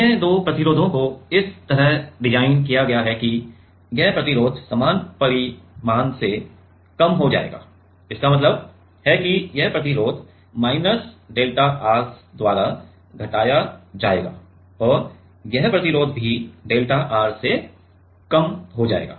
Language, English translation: Hindi, The other two resistance are designed such that this resistances will decreased by the same magnitude; that means, this resistance will decreased by minus by delta R and this resistance will also decreased by delta R